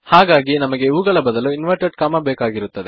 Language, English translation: Kannada, So instead of these, well need inverted commas